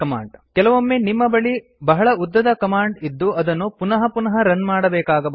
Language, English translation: Kannada, It may happen that you have a large command that needs to be run again and again